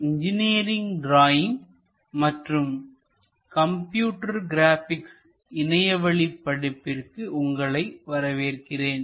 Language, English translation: Tamil, Welcome to our Engineering Drawing and Computer Graphics, NPTEL Online Certification Courses